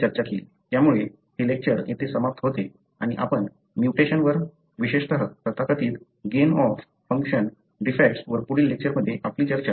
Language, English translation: Marathi, So, that pretty much brings an end to this lecture and we will be continuing our discussion on the mutation, especially on the so called gain of function defects in the next lecture